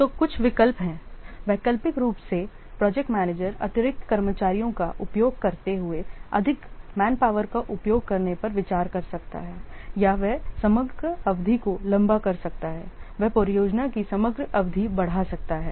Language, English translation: Hindi, The alternatively project manager can consider using more manpower using additional stuff or he may lengthen the overall duration, he may extend the overall duration of the project